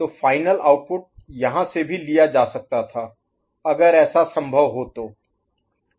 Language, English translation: Hindi, So final output could have taken from here also if it is so possible